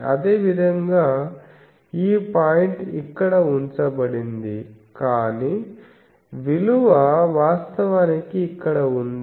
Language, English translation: Telugu, Similarly, this point is put here, but the value is actually here